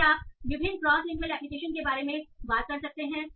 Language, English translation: Hindi, Then you can talk about various cross lingual application